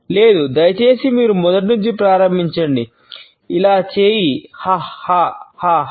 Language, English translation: Telugu, No please you start from the very beginning just do this go ha ha ha ha